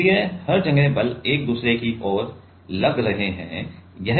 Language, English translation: Hindi, So, everywhere the forces are acting towards each other